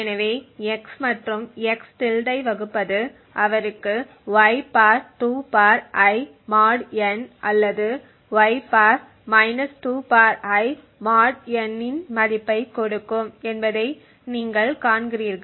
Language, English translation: Tamil, So, you see that dividing x and x~ would either give him a value of (y ^ (2 ^ I)) mod n or (y ^ ( 2 ^ I)) mod n